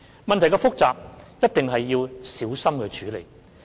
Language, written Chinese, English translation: Cantonese, 問題是複雜的，一定要小心處理。, The problems are complicated and we must handle them carefully